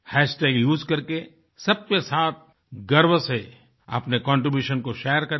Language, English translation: Hindi, Using the hashtag, proudly share your contribution with one & all